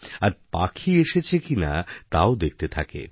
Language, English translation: Bengali, And also watch if the birds came or not